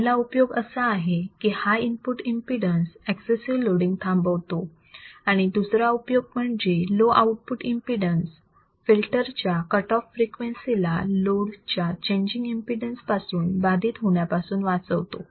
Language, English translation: Marathi, First advantage is high input impedance that will prevent the excessive loading; and second would be the low output impedance, which prevents a filter cut off frequency from being affected by the changes in the impedance of the load